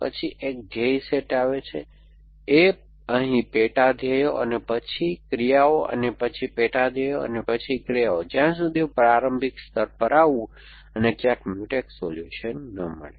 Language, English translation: Gujarati, Then a goal set come, A here sub goals and then actions and then sub goals and then actions till I come to the initial layer and nowhere do a encounter a Mutex solution